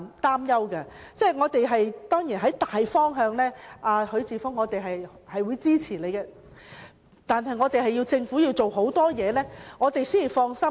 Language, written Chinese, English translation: Cantonese, 當然，我們會在大方向上支持許智峯議員的議案，但政府須做很多工夫，我們才能放心。, Certainly we will support Mr HUI Chi - fungs motion in the general direction but the Government must do a lot of work before we can rest assured